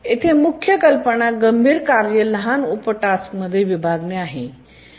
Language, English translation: Marathi, The main idea here is that we divide the critical task into smaller subtasks